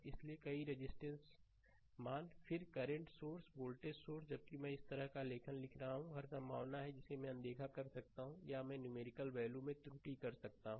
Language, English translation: Hindi, So, many register values, then current source voltage source while I making write writing like this there is every possibility I can overlook or I can make some error also particular numerical value